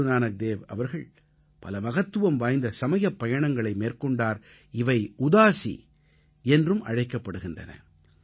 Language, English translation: Tamil, Guru Nanak Ji undertook many significant spiritual journeys called 'Udaasi'